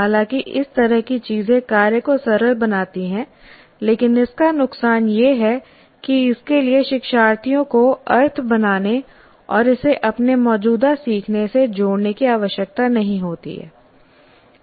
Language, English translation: Hindi, While this kind of thing makes the task simple, but has the disadvantage that it does not require learners to create a meaning and to connect it to their existing learning